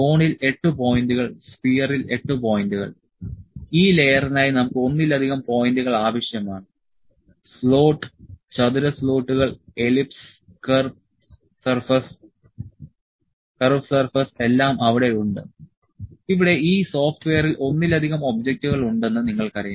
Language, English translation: Malayalam, 8 points on cone, 8 points sphere; we need multiple points for this layer; slot, square slots, ellipse, curve surface, all is there you know there multiple objects here in this software